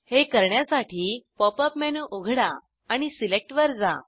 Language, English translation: Marathi, To do this, open the Pop up menu and go to Select